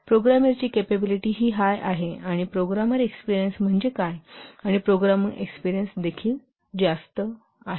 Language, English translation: Marathi, Programmer capability is high and programmer experience is also high